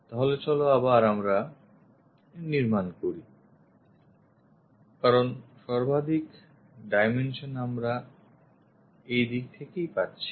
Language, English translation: Bengali, So, let us construct because maximum dimensions what we are getting is from this direction